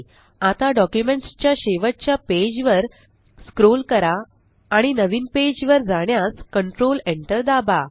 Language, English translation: Marathi, Now let us scroll to the last page of the document and press Control Enter to go to a new page